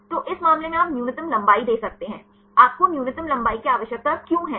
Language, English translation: Hindi, So, in this case you can give the minimum length; why do you needing the minimum length